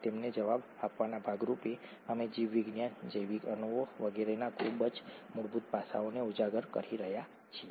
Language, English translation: Gujarati, As a part of answering them, we are uncovering very fundamental aspects of biology, biological molecules and so on